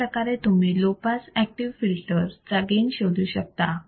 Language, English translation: Marathi, Now, we are looking at low pass active filter